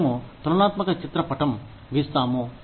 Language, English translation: Telugu, We draw comparative chart